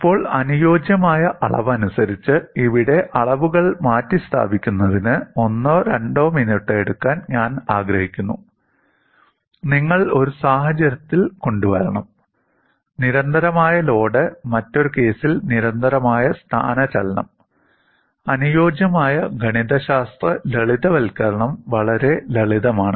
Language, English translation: Malayalam, Now, I would like you to take a minute or two in replacing the quantities here, in terms of the compliance suitably, and you have to bring in, in one case constant load, in another case constant displacement; a suitable kind of mathematical simplifications; fairly simple